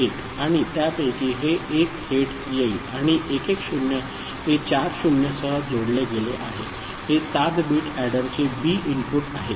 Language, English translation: Marathi, 1101 and out of that this 1 will come directly and 110 appended with four 0’s is the 7 bit adder’s B input